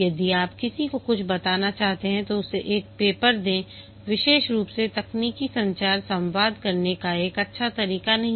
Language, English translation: Hindi, If you want to convey somebody something, you give him a paper, specially technical communication is not a good way to communicate